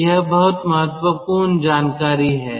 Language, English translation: Hindi, so this is very important information